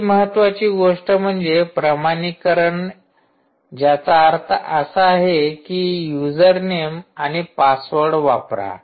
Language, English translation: Marathi, simple authentication, which means please put the username and password right